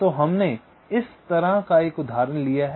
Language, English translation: Hindi, ok, so we take an example